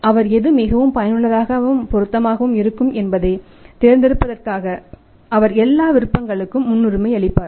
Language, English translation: Tamil, He will prioritise all these options and which one is more useful and suitable to him to go for that